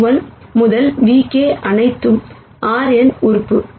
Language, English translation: Tamil, So, nu 1 to nu k are all element of R n